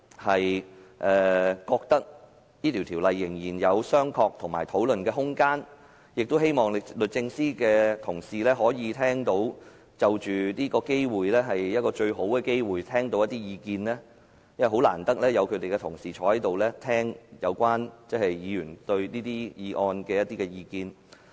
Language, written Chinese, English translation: Cantonese, 我覺得仍然有商榷及討論的空間，亦希望律政司的官員可以藉此機會聆聽一些意見，因為他們難得列席立法會會議，聆聽議員對這些議題的意見。, I opine that there is still room for discussion and consideration . I also hope that officials from the Department of Justice can take this opportunity to listen to our views as they seldom attend Council meetings and listen to Members views on these issues